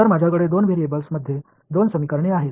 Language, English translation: Marathi, So, I have two equations in 2 variables